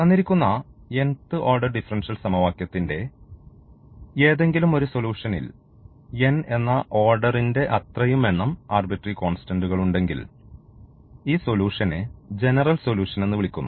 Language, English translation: Malayalam, So, any solution of this differential equation of a given differential equation and if it has n independent arbitrary constants corresponding to the such nth order, ordinary differential equation then we call this solution as general solution